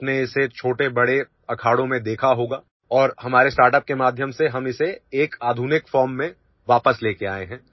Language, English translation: Hindi, You must have seen it in big and small akhadas and through our startup we have brought it back in a modern form